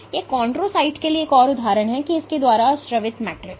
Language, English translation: Hindi, This is another example for chondrocyte and the matrix secreted by it